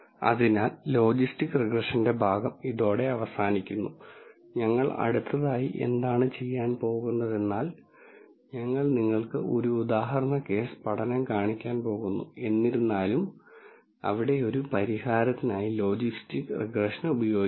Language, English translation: Malayalam, So, with this the portion on logistic regression comes to an end what we are going to do next is we are going to show you an example case study, where logistic regression is used for a solution